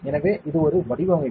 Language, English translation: Tamil, So, this is one design